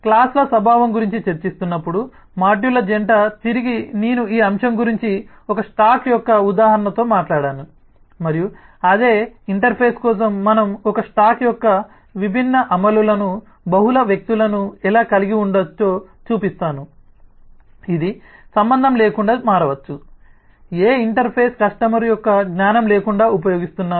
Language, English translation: Telugu, while discussing about the nature of classes, i talked about this aspect with an example of a stack and i show that how, for same interface, we could have multiple people, different implementations of a stack which could change irrespective of which interface the customer is using and without the knowledge of the customer